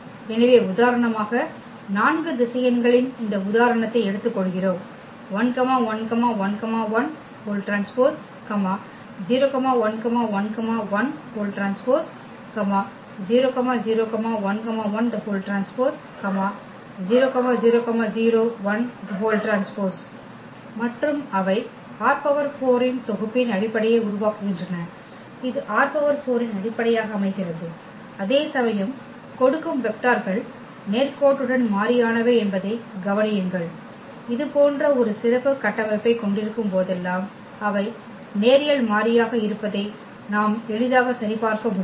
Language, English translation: Tamil, So, for instance we take this example of 4 vectors and they forms the basis of R 4 the set this forms a basis of R 4, while note that the give vectors are linearly independent that we can easily check they are linearly independent whenever we have such a special structure